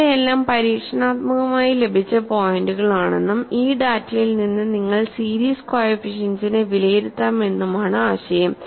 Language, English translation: Malayalam, So, the idea is these are all the experimentally obtained points, and from these data you evaluate the series coefficients